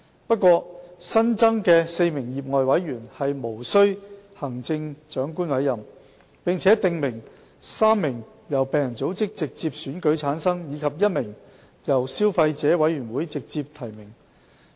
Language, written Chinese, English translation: Cantonese, 不過，新增的4名業外委員無須經由行政長官委任，並訂明其中3人由病人組織直接選舉產生，而其餘1人則由消費者委員會直接提名。, For the four additional lay members appointment by the Chief Executive is not required . Three of them will be directly elected by patient - related organizations and one of them will be nominated directly by the Consumer Council